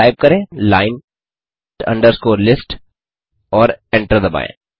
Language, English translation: Hindi, so type line underscore list and hit Enter